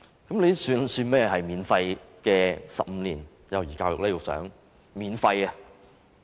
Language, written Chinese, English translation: Cantonese, 局長，這算甚麼免費幼兒教育呢？, Secretary how can that be regarded as free kindergarten education?